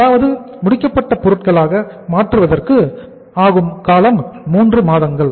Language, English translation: Tamil, It means finished goods conversion period is 3 months